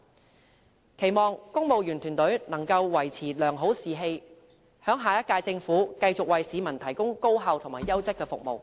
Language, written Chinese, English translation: Cantonese, 我期望公務員團隊能夠維持良好士氣，在下一屆政府繼續為市民提供高效和優質的服務。, I hope that the Civil Service will keep up its good morale and continue to provide highly efficient and quality services to the public under the next Government